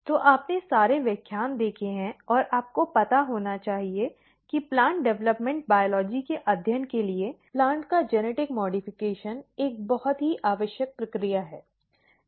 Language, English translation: Hindi, So, you have gone through the lectures and you must be knowing that to study plant development biology; the genetic modification of plant is a very essential process